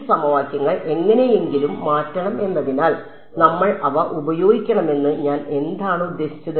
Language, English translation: Malayalam, What are the I mean should we just use these system of equations as a should be change them somehow